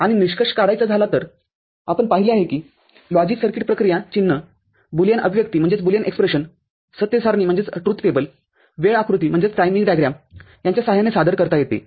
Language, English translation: Marathi, And so to conclude, the logic circuit operation can be represented by symbol Boolean expression truth table timing diagram we have seen that